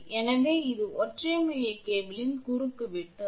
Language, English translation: Tamil, So, this is the cross section of a single core cable